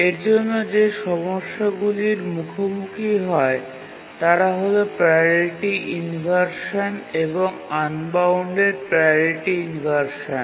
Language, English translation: Bengali, The problems that are faced are priority inversion and unbounded priority inversion